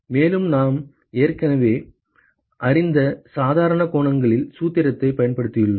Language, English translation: Tamil, And we have just applied the formula with the normal angles that we already know